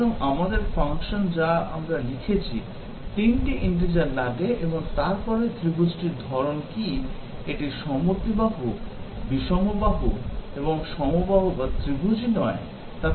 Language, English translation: Bengali, So, our function that we have written, takes 3 integers and then prints out or displays, what is the type of the triangle, whether it is a isosceles, scalene, equilateral, not a triangle and so on